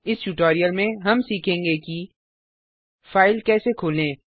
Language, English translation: Hindi, In this tutorial we will learn how, To open a file